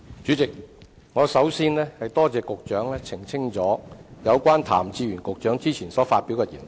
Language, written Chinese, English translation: Cantonese, 主席，首先，我多謝局長澄清有關譚志源局長之前所發表的言論。, President first of all I have to thank the Secretary for his clarification of the remarks made by Secretary Raymond TAM some time ago